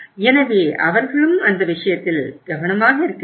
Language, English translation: Tamil, So they should also be careful in that case